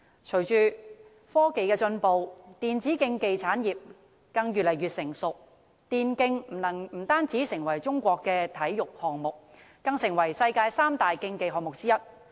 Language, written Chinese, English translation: Cantonese, 隨着科技進步，電子競技發展越來越成熟，電競不單成為中國的體育項目，更成為世界三大競技項目之一。, With the advancement of technology e - sports has become more mature . E - sports is not only a sports event in China but also one of the three major sports events in the world